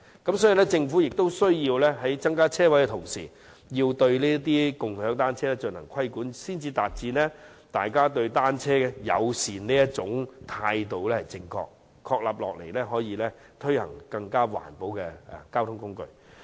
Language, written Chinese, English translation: Cantonese, 因此，政府有需要在增加泊車位的同時，也要規管"共享單車"，才能確立大家對單車友善的正確態度，以推廣更環保的交通工具。, Therefore while increasing parking spaces the Government needs to regulate shared bicycles so that a correct attitude towards bicycle - friendliness can be established for the promotion of a more eco - friendly mode of transport